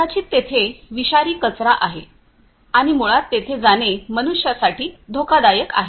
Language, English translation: Marathi, Maybe because there are toxic wastes and it is dangerous for the human beings to basically go over there